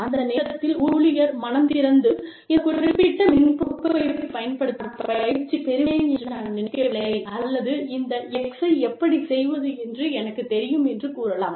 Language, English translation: Tamil, And, that time, the employee opens up and says, you know, what i am, i do not think, that i am trained to use this particular software package, or i know, how to do x, etcetera